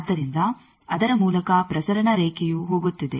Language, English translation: Kannada, So, through that there is a transmission line going